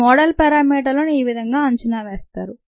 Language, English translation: Telugu, this is the way in which these model parameters are estimated